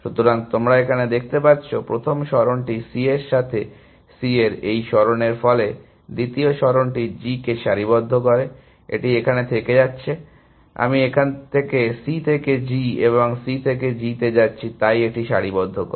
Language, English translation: Bengali, So, can you see that, the first move aligns C with C this move, the second move aligns G, it going from here; I am going from C to G and C to G here, so it aligns that